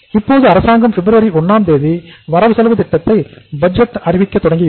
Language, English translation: Tamil, Now the government has started announcing the budget on the 1st of the February